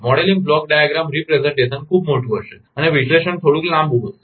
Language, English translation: Gujarati, The modeling will be block diagram representation is much bigger and analysis will be little bit lengthy